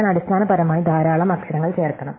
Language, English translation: Malayalam, Well, I have to basically insert this many letters